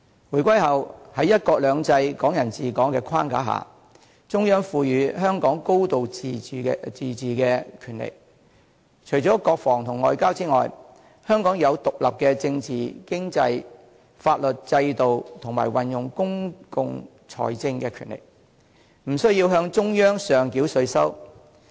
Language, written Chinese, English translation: Cantonese, 回歸後，在"一國兩制"、"港人治港"的框架下，中央賦予香港"高度自治"的權力，除了國防和外交外，香港擁有獨立的政治、經濟和法律制度，以及運用公共財政的權力，不需要向中央上繳稅收。, Since the reunification the Central Authorities have vested Hong Kong with a high degree of autonomy under the framework of one country two systems and Hong Kong people ruling Hong Kong . Except for defence and foreign affairs Hong Kong can enjoy autonomy with its separate political economic and judicial systems . It also has the power to use its public financial resources and does not need to pay any taxes to the Central Authorities